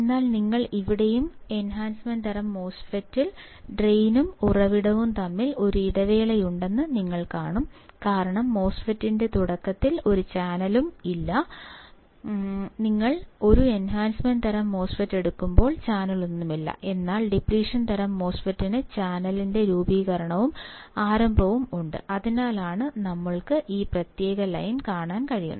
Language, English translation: Malayalam, But you here and you see enhancement type there is a break between the drain and source and the reason is that there is no channel at the starting of the MOSFET; when you take a MOSFET enhancement type there is no channel, but in case of depletion type there is a formation of channel and in the starting and that’s why we can see this particular line